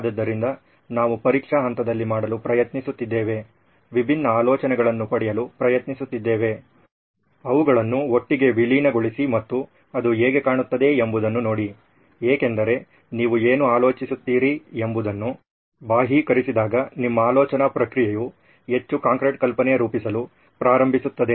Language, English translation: Kannada, So this is what we are going to try to do in the testing phase, trying to get different ideas, merge them together and see how it all looks like because when you externalise what you are thinking, your thought process it starts forming much more concrete idea